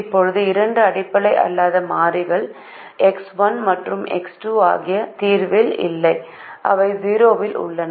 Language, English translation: Tamil, now there are two non basic variables, x one and x two, which are not in the solution